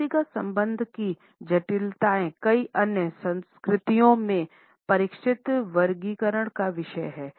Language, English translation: Hindi, The complexities of the personal odor are the subject of sophisticated classification systems in many other cultures